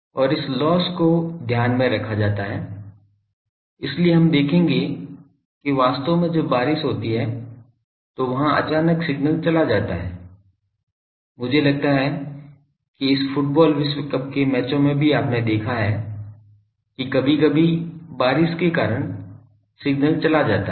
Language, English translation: Hindi, And this losses are taken care of by the thing that is why we will see that actually when rain comes, then there the suddenly the signal goes, I think in the this football world cup matches also you have seen that sometimes the due to rain the signal is going